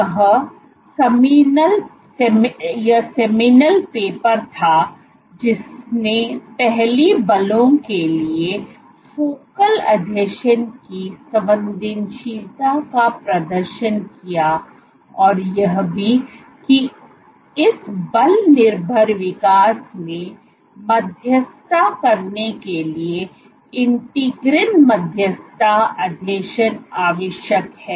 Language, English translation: Hindi, So, this was the seminal paper which first demonstrated the sensitivity of focal adhesions to forces and also that integrin mediated adhesions are necessary in order to mediate this force dependent growth